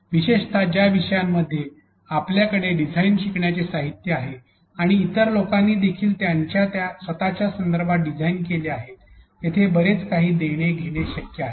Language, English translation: Marathi, Especially in topics where you have to you know design learning materials and other people have also designed in their own context there is a lot of give and take possible here